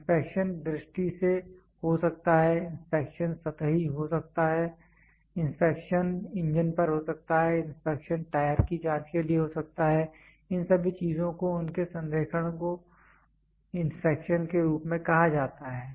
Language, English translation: Hindi, The inspection can be visual, the inspection can be superficial, the inspection can be on the engine, the inspection can be for checking the tires, their alignment all these things are called as inspection